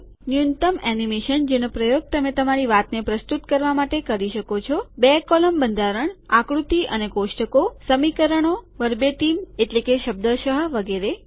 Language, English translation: Gujarati, Minimal animation that you can use to present your talk, two column format, figures and tables, equations, verbatim and so on